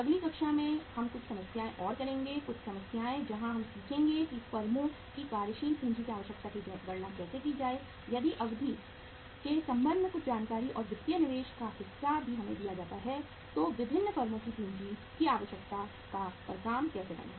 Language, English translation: Hindi, In the next class we will do some problems, some problems where we will learn how to calculate the working capital requirement of the firms if some information with regard to duration and the financial investment part is also given to us then how to work out the working capital requirement of the different firms